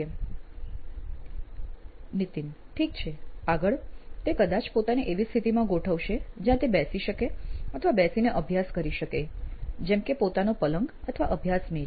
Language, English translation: Gujarati, Ok, next would be probably placing himself in a position where he can seat in or seat and study which could be he is bed or study table